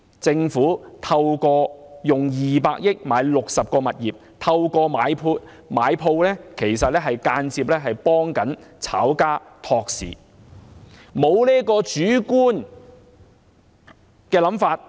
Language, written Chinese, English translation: Cantonese, 政府以200億元購買60個物業，透過買鋪間接幫炒家托市。, The Governments purchase of 60 properties at 20 billion will indirectly prop up the market for speculators